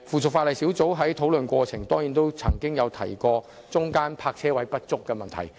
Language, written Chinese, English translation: Cantonese, 此外，小組委員會在討論過程中亦曾提及泊車位不足的問題。, Besides the Subcommittee also mentioned the problem of insufficient parking spaces in the course of discussion